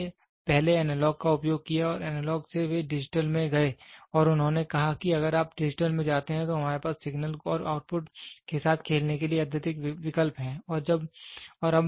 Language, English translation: Hindi, People first started moving from first used analog, from analog they went to digital and they said while if you go the digital we have more options to play with the signal and the output